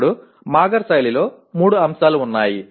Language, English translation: Telugu, Now there are 3 elements in Mager style of writing